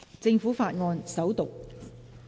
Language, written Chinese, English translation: Cantonese, 政府法案：首讀。, Government Bill First Reading